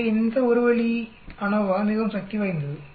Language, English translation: Tamil, So this one way ANOVA is very powerful